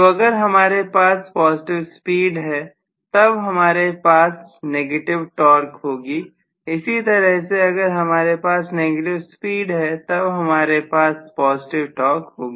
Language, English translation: Hindi, So if I am going to have positive speed I might have maybe negative torque, similarly if I have negative speed I am going to have positive torque